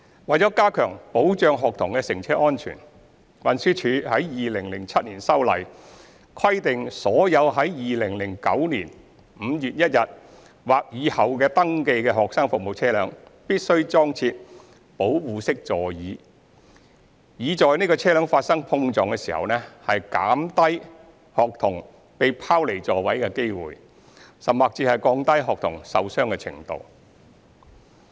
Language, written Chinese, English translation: Cantonese, 為加強保障學童的乘車安全，運輸署於2007年修例，規定所有在2009年5月1日或以後登記的學生服務車輛，必須裝設"保護式座椅"，以在車輛發生碰撞時減低學童被拋離座位的機會，及降低學童受傷程度。, To enhance the safety of student passengers legislative amendments were made by TD in 2007 to stipulate that student service vehicles registered on or after 1 May 2009 must be equipped with Safer Seats so as to reduce the risk of students being thrown out of their seats and the severity of injury in case of vehicle collision